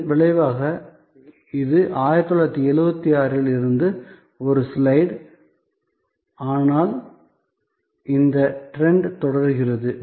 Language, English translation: Tamil, And as a result this is a slide from 1976, but this trend is continuing